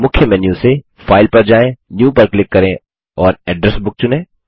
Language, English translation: Hindi, From the Main menu, go to File, click New and select Address Book